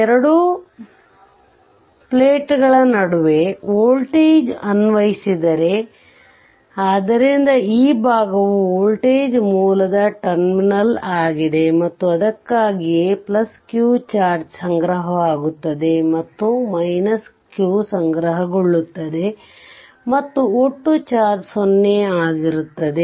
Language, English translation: Kannada, Suppose a voltage is applied between the two your two plate the two plates, so this side this is the plus terminal of the voltage right source and that is why plus charge is accumulated and minus q will be accumulated and total charge will be 0 right